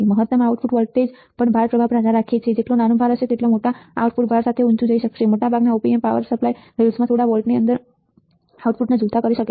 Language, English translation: Gujarati, The maximum output voltage also depends on the load current right, the smaller the load the output can go higher with a larger load right, most of the Op Amps can swing output to within a few volts to power supply rails